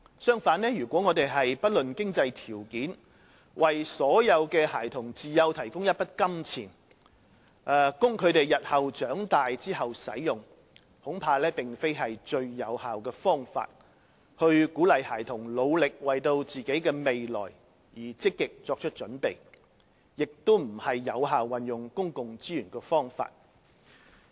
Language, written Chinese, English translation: Cantonese, 相反，如果我們不論經濟條件，為所有孩童自幼提供一筆金錢，供他們日後長大使用，恐怕並非最有效的方法去鼓勵孩子努力為自己的未來而積極作準備，亦非有效運用公共資源的方法。, On the contrary if all children are provided with a sum of money at young age irrespective of their financial conditions for their use when they have grown up in future I am afraid it may not be the most effective way to encourage children to work hard and actively make preparations for their future; nor is it effective utilization of public resources